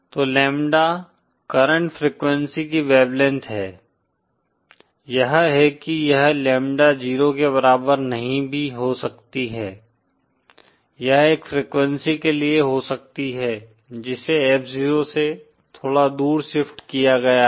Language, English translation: Hindi, So lambda is the wave length of the current frequency that is it may not be equal to lambda 0, it may be for a frequency which is slightly shifted away from F0